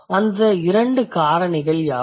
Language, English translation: Tamil, And what are the two factors